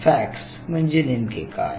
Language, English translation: Marathi, So, what is really FACS